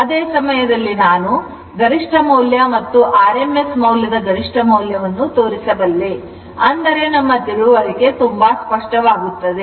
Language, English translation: Kannada, Simultaneously, I can show you the peak value and the rms value peak value of the rms value such that our our understanding will be very much clear right